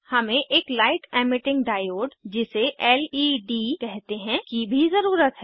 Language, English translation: Hindi, We also need a Light Emitting Diode, know as LED